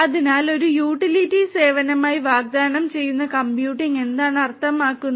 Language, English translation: Malayalam, So, computing offered as a utility service means what